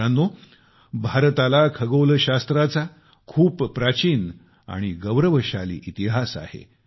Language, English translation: Marathi, Friends, India has an ancient and glorious history of astronomy